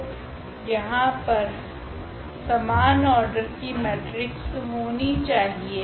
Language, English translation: Hindi, So, there should be a matrix here of the same order